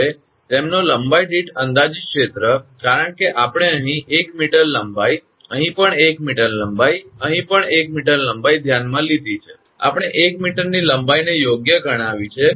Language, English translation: Gujarati, Now, the projected area per meter length of them, because we have consider here 1 meter length, here also 1 meter length, here also 1 meter length, we have considered 1 meter length right